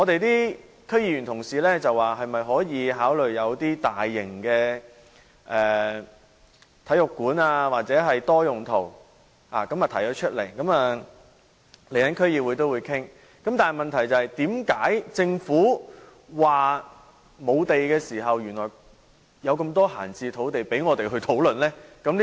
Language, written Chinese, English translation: Cantonese, 有區議員提出可否考慮在那裏興建大型體育館或多用途大樓，區議會稍後會繼續討論，但問題是，為何政府經常說沒有土地，原來仍有這麼多閒置土地供我們討論？, Some members of our District Council have suggested building a large sports centre or a multi - purpose centre there and discussions will continue in the District Council . Why does the Government often say that there is no land and yet there are still so many idle land lots that require our discussion?